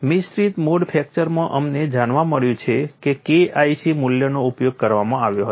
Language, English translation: Gujarati, In mixed mode fracture we have found the K 1c value was used